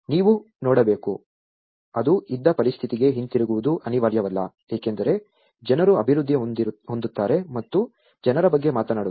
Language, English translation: Kannada, One has to look at you know, it is not necessarily that we go back to the situation where it was, because people as developed and talks about people